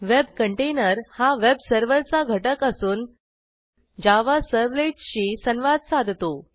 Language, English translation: Marathi, A web container is a component of the web server that interacts with Java servlets It is also known as servlet container